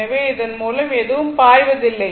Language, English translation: Tamil, So, nothing is flowing through this